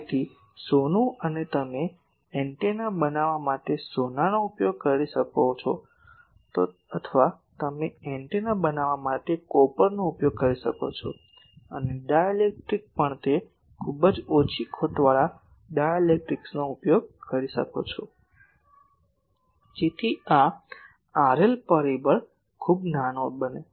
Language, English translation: Gujarati, So, gold and you can use gold for making antenna, or you can use copper for making antenna and also the dielectric those are very loss low loss dielectrics are used so, that these R L factor is very small